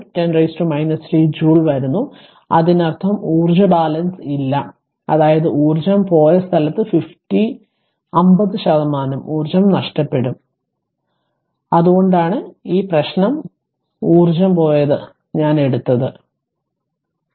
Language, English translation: Malayalam, 5 into 10 to the power minus 3 joules ; that means, the energy balance is not there; that means, some 50 percent of the energy is missing then where that energy has gone right that is that is why this problem I have taken that where that energy has gone